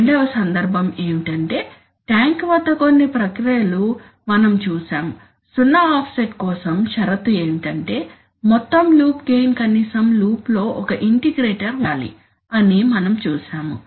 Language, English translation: Telugu, Second case is, as we have seen that some processes, let us say at let us say tank, we have seen that the condition for a zero offset is that the overall loop gain should have one integrator at least in the loop